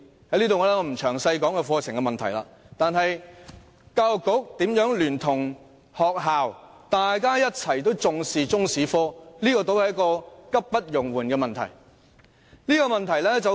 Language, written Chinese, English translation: Cantonese, 我不打算詳細談論課程綱要問題，但教育局如何聯同學校一起重視中史科，卻是急不容緩的問題。, I do not intend to discuss the syllabuses in detail but it is imperative for the Education Bureau and schools to attach importance to Chinese History